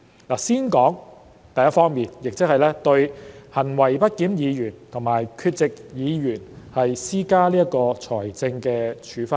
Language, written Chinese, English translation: Cantonese, 我想先談第一方面，即對"行為不檢議員"和"缺席議員"施加財政處分。, To begin with I would like to talk about the first aspect that is imposing financial penalties on misbehaved Members and absent Members